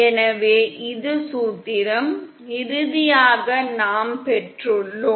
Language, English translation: Tamil, So this is the formula, finally we’ve obtained